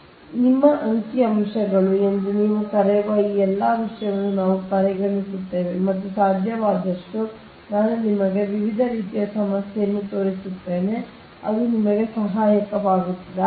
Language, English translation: Kannada, now we will consider all this thing you are what you call that, your numericals and ah, as many as possible i will show you ah, such that different type of problem, ah, such that it will be helpful for you